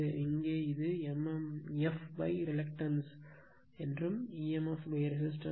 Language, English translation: Tamil, Here it is emf upon resistance that is mmf upon reluctance